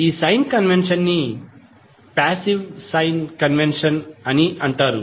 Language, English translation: Telugu, Sign convention is considered as passive sign convention